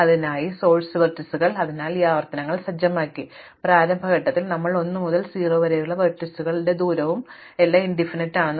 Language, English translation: Malayalam, So, one is that source vertices, so we set up this iterations, so in the initial step we set the distance of vertix 1 to 0 and everything else as infinity